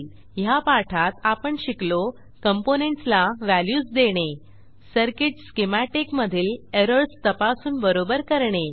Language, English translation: Marathi, In this tutorial we learnt, To assign values to components To check and correct for errors in circuit schematic To generate netlist for circuit